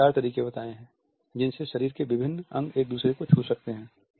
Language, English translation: Hindi, He has illustrated four ways and different body parts can touch each other